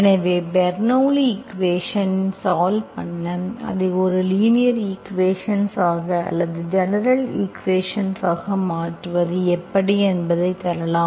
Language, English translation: Tamil, So we will try to solve the Bernoulli s equation, I will give you how to convert that into a linear equation or general equations that can be reduced to linear equations, if, possible, okay